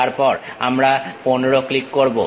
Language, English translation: Bengali, Then we click 15